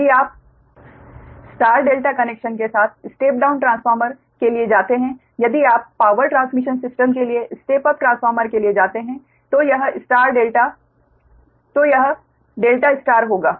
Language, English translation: Hindi, if you go for step down transformer with star delta connection, if you go for step up transformer for power transmission system, then it will be delta star, right